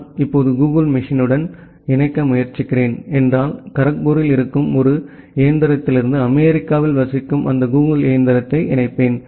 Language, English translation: Tamil, Say if I am trying to connect to google machine right now, I will be connecting that google machine which is residing at USA from a machine which is there in Kharagpur